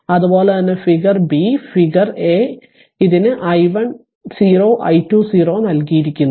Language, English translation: Malayalam, And similarly figure b figure a it is given i 1 0 i 2 0